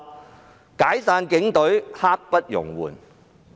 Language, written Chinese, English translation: Cantonese, 是"解散警隊，刻不容緩"。, They want to disband the Police Force now